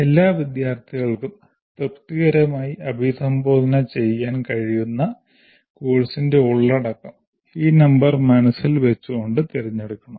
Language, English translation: Malayalam, The content of the course that can be addressed satisfactorily by all students should be selected keeping this number in mind